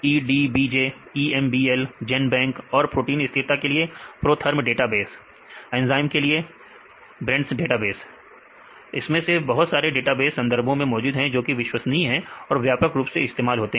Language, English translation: Hindi, EDBJ, EMBL, Genbank and proteins stability: protherm database, enzymes: brenda database, several databases are available in the literature for the bioinformatics, reliable databases widely used databases fine